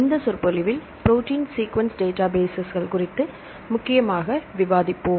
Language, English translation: Tamil, In this lecture, we will mainly discuss on Protein Sequence Databases